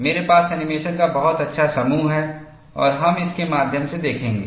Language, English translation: Hindi, I have very nice set of animations and we will see through that